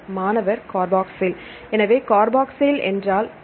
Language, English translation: Tamil, So, what are the carboxyl group is here